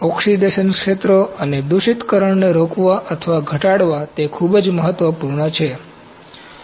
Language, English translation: Gujarati, It is very important to prevent or minimize oxidation fields and contamination